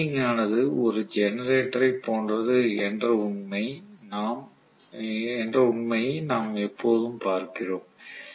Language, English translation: Tamil, We always look at the winding with respect to the fact that it is like a generator